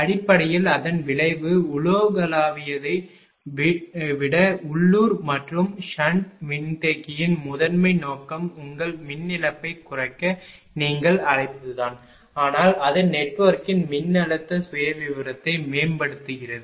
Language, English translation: Tamil, Basically, it is a ah it is effect is local rather than global and ah primary objective of sand capacitor is to your what you call to increase the your reduce the power loss and do not much it improves the voltage profile of the network